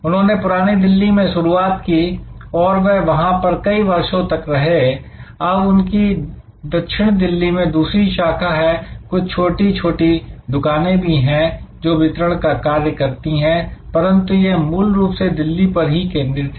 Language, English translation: Hindi, They started in old Delhi, they were there for many years, now they have another branch in South Delhi, some small outlets for delivery, but they are basically Delhi focused